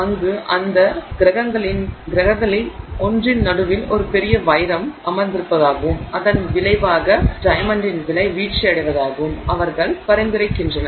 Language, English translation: Tamil, Clark where they suggest that there is a huge diamond sitting in the middle of one of those planets and as a result the price of diamond falls